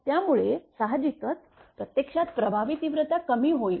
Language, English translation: Marathi, So, naturally that magnitude actually effective magnitude will go down